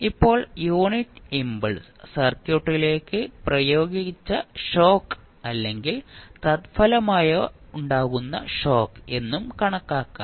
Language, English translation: Malayalam, Now, unit impulse can also be regarded as an applied or resulting shock into the circuit